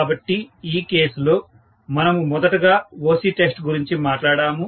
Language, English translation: Telugu, So, in this case we initially talked about OC test